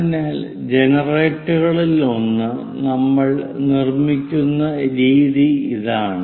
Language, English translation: Malayalam, So, this is the way we will construct one of the generator